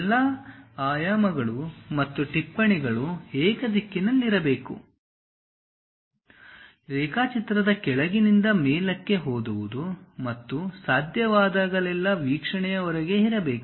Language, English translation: Kannada, All dimensions and notes should be unidirectional, reading from the bottom of the drawing upward and should be located outside of the view whenever possible